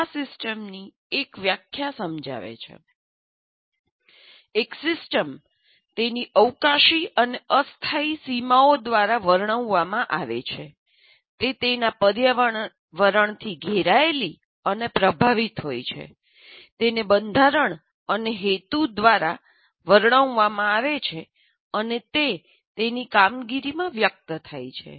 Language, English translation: Gujarati, And a system is delineated by its spatial and temporal boundaries, surrounded and influenced by its environment, described by its structure and purpose and expressed in its functioning